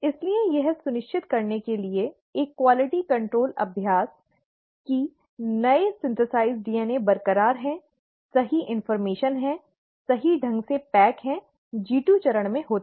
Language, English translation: Hindi, So a quality control exercise to make sure that all that newly synthesized DNA is intact, consists of correct information, is packaged correctly happens in the G2 phase